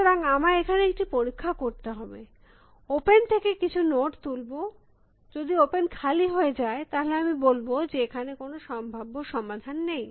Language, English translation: Bengali, So, I should have a test here, pick some node from open, if open has become empty then I should say, there is no possible solution